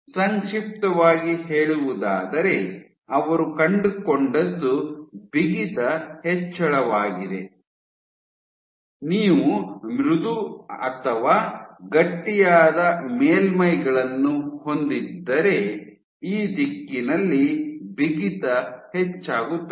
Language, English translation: Kannada, So, to summarize, so what they found was with increase in stiffness, if you have soft and stiff surfaces you have increase in stiffness in this direction